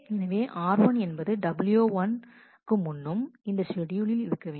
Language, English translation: Tamil, So, r 1 precedes w 1, r 1 precedes w 1 in this schedule